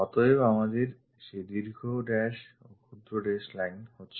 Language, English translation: Bengali, So, we have that long dash short dash line